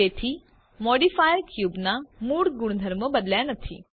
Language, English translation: Gujarati, So the modifier did not change the original properties of the cube